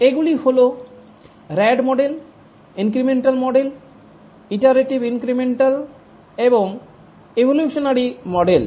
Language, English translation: Bengali, These were the rad model, the incremental model, incremental with iteration and the evolutionary model